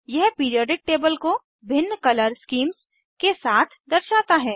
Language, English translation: Hindi, It shows Periodic table with different Color schemes